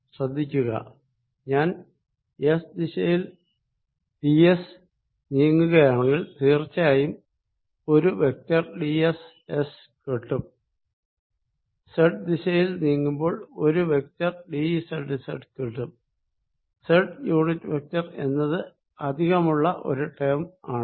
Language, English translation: Malayalam, notice: if i am moving in s direction by d s, i obviously collect a vector d s s i am moving in z direction of d z, i collect a vector d z z unit vector